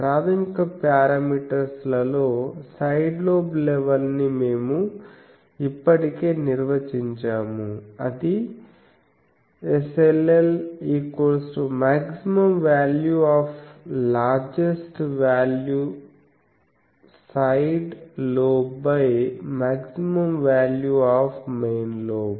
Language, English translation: Telugu, We have already defined side lobe level in the basic parameters that is the maximum value of largest side lobe largest value side lobe by the maximum value of main lobe